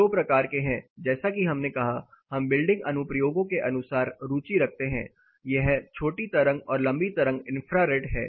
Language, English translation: Hindi, There are two types as we said, we are interested as per building applications; it is short wave of infrared and long wave infrared